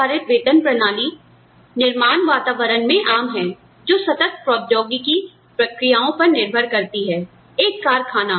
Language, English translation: Hindi, Individual based pay plans, are common in manufacturing environments, that rely on continuous process technologies; a factory